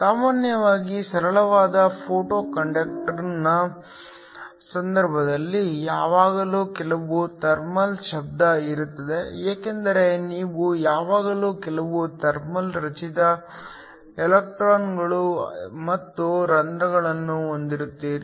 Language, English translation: Kannada, Usually, in the case of a simple photo conductor there will always be some thermal noise, because you will always have some thermally generated electrons and holes